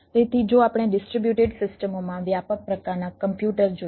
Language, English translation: Gujarati, so of we look at the broad type of computers in a distributed systems